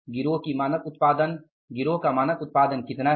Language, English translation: Hindi, The standard output of the gang was 4 units